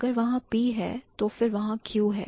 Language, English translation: Hindi, So, if there is P, then there is Q